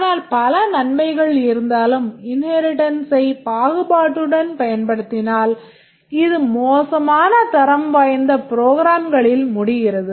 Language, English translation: Tamil, But in spite of its many advantages if we indiscriminately use inheritance it will result in poor quality of programs